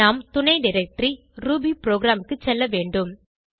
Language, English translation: Tamil, We need to go to the subdirectory rubyprogram